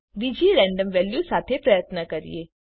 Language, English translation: Gujarati, Let us try with another random value